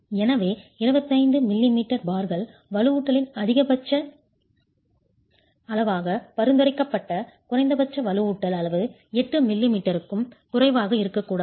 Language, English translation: Tamil, So, 25 m m bars are what are prescribed as maximum size of reinforcement, minimum size of reinforcement should not be less than 8 millimeters